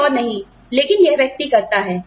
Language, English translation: Hindi, Somebody else does not, but this person does